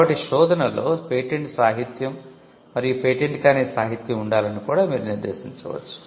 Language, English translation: Telugu, So, or you could also you could also stipulate whether the search should contain patent literature and on patent literature